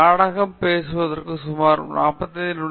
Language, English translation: Tamil, Actually, we have sort of about completed 25 minutes for our talk